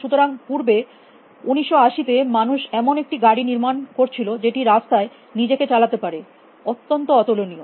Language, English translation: Bengali, So, arise earlier 1980’s people were building car it should navigate themselves on the road so in unique